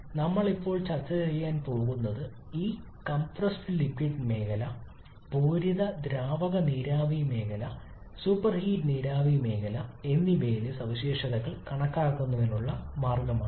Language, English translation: Malayalam, So what we are going to discuss now is the way to calculate the properties in this compressed liquid regions, saturated liquid vapour region and superheated vapor region as long as we are restricting ourselves to the critical point values